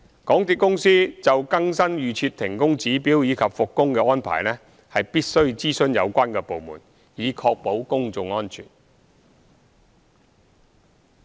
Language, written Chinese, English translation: Cantonese, 港鐵公司就更新預設停工指標及復工的安排，必須諮詢有關部門，以確保公眾安全。, To ensure public safety the MTRCL must consult the relevant departments on updating the pre - set trigger levels and arrangements for resumption of works